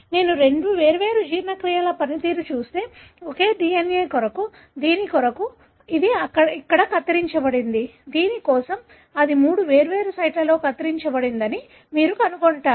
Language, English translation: Telugu, So, if I do or perform two different digestions, for the same DNA, you will find that that for this, it is cut here, for this it is cut at three different sites